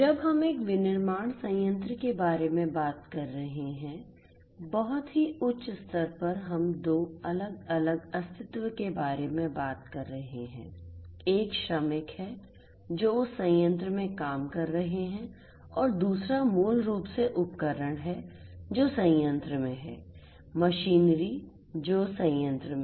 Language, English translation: Hindi, When we are talking about a manufacturing plant, at a very high level we are talking about 2 distinct entities one is the workers who are working in that plant and second is basically the equipments that are there in the plant, the machineries that are there in the plant